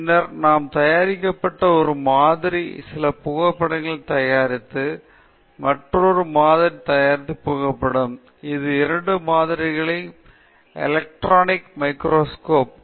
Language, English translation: Tamil, Then we have some photograph of a sample produced, photograph of another sample produced, electron micrographs of these two samples